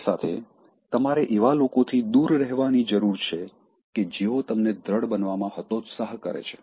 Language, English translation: Gujarati, On the way, you need to avoid people who discourage you to become assertive